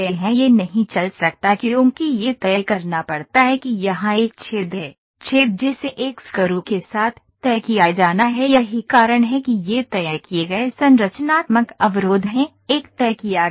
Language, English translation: Hindi, This cannot move because it has to be fixed there is a hole here, hole that has to be fixed with a screw that is why these are fixed structural constraints are there fixed one